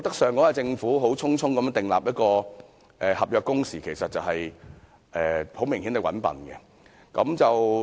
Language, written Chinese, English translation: Cantonese, 上屆政府匆匆訂立合約工時，我們認為這其實很明顯是"搵笨"。, The last - term Government hastily introduced the contractual working hours which we consider to be an obvious rip - off